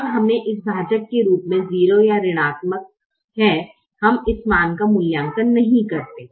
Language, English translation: Hindi, when we do not, when we have a zero or negative as a denominator, we do not evaluate that value